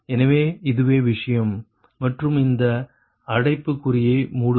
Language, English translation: Tamil, so this is the thing and this is your bracket close, right